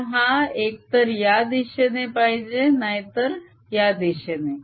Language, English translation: Marathi, so it has to be either this way or this way